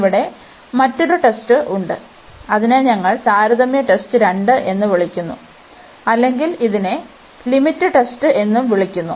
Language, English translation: Malayalam, There is another test here, it is we call comparison test 2 or it is called the limit test also limit comparison test